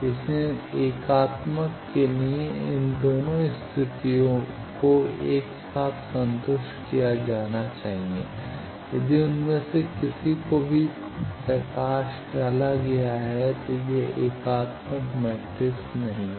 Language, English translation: Hindi, So, for unitary both these condition should be simultaneously satisfied, if any of them is highlighted it is not an unitary matrix